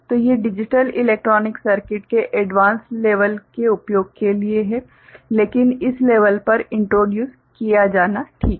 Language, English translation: Hindi, So, these are for advanced level use of digital electronic circuit, but it is good to get introduced at this level, right